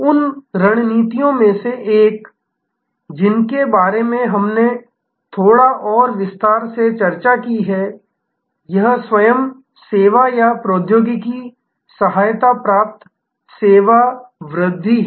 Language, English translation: Hindi, One of the strategies that we discussed a little bit more in detail is this self service or technology assisted service enhancement